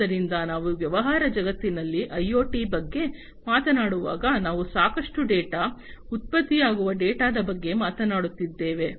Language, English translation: Kannada, So, when we talk about IoT in a business world, we are talking about lot of data, data that is generated